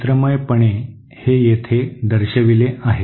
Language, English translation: Marathi, Graphically this is shown here